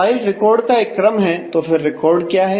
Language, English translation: Hindi, A file is a sequence of records, and what is a record